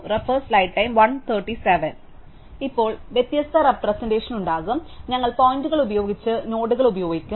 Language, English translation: Malayalam, So, we will now have a different representation, we will use nodes with pointers